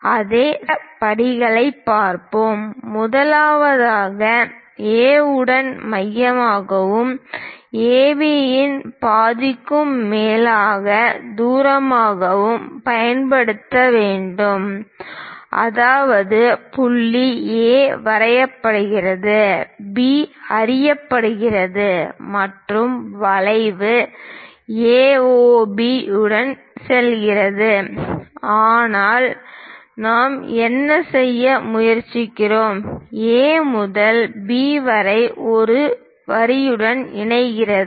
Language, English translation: Tamil, Let us look at the steps involved in that; first, we have to use with A as centre and distance greater than half of AB; that means, point A is known B is known, and the arc goes along A, O, B but what we are trying to do is; from A to B, join by a line